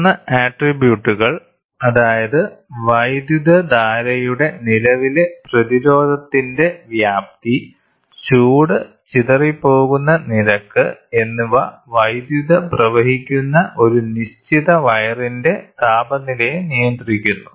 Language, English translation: Malayalam, Three attributes, namely magnitude of current, resistivity of the current and the rate at which the heat is dissipated governs the temperature for a given wire through the electric current flows